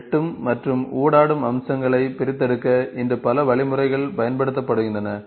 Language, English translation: Tamil, There are several algorithms are used today to, for extracting both intersecting and interacting features